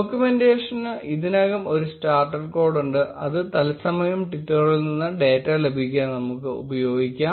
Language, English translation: Malayalam, The documentation already has a starter code, which we will use to get data from twitter in real time